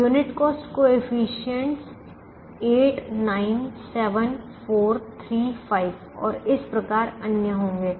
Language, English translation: Hindi, the unit cost coefficients would be eight, nine, seven, four, three, five and so on